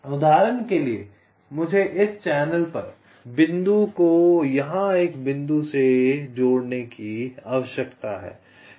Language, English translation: Hindi, for example, i need to connect ah point here on this channel to a point here